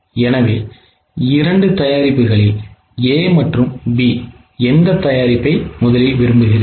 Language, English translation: Tamil, So, out of the two products A and B, which product first of all will you prefer